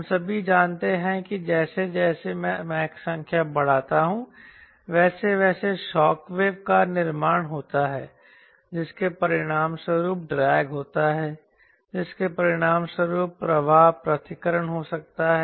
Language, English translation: Hindi, we all know that as i increase mach number there is a formation of shockwave that results in drag, that results in flow of separation